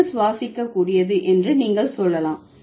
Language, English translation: Tamil, The air is breathable